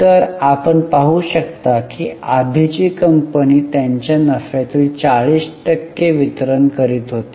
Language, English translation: Marathi, So, you can see earlier company was distributing 40% of their profit